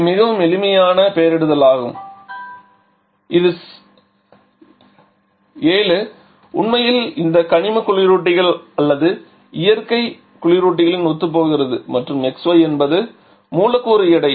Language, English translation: Tamil, So, it is a very simple convention this 7 actually corresponds to this inorganic reference or natural refrigerants and xy is the molecular weight